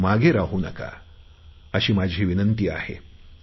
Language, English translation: Marathi, I urge you all not to get left behind